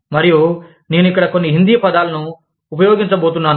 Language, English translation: Telugu, And, I am going to use, a few Hindi words, here